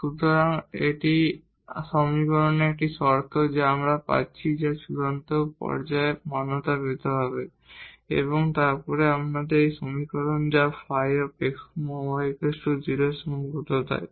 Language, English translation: Bengali, So, that is a one condition 1 equation we are getting which has to be satisfied at the point of extrema, and then this equation which is the constraint that a phi x y must be 0